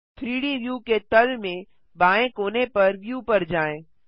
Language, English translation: Hindi, Go to View at the bottom left corner of the 3D view